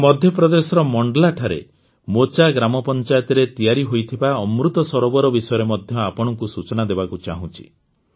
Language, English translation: Odia, I also want to tell you about the Amrit Sarovar built in Mocha Gram Panchayat in Mandla, Madhya Pradesh